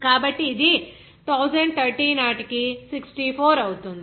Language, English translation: Telugu, So, it will be 64 by 1030